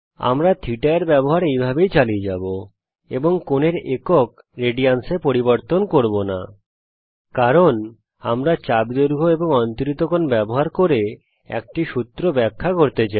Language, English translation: Bengali, We will continue to use θ like this and not change the angle unit as radians, because we want to illustrate a formula using the arc length and angle subtended